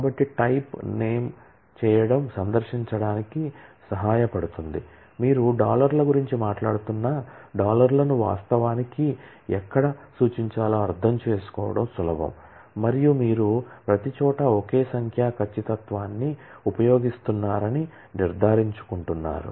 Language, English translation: Telugu, So, type name doing this helps in to visit make sure that wherever you actually have to conceptually refer to dollars you are talking about dollars it is easier to understand and you are making sure that everywhere the same numeric precision is used